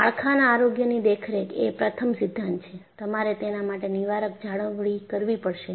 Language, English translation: Gujarati, Structural health monitoring,the first principle is you will have to do preventive maintenance